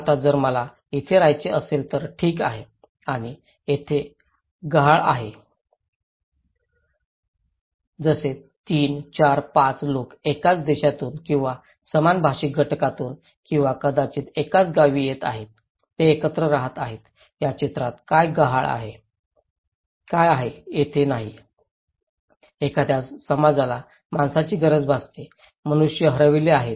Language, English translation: Marathi, Now, if I want to live there, okay and what is missing here like 3, 4, 5 people coming from same nations or same linguistic group or maybe same hometown, they are living together, what is missing there in this diagram, what is not there; that a society needs a human being are missing, human beings are missing